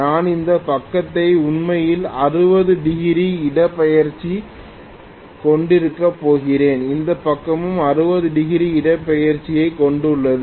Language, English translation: Tamil, I am going to have this side actually having 60 degree displacement, this side also having 60 degree displacement